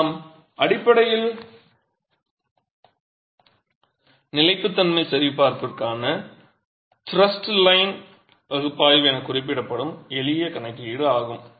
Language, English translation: Tamil, So, what we are basically doing is a simple hand calculation referred to as thrust line analysis for stability check